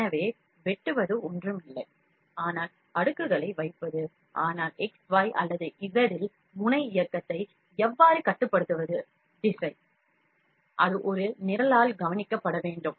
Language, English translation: Tamil, So, slicing is nothing, but depositing the layers, but how to control the movement of the nozzle in the X Y or Z direction, that has to be taken care by a program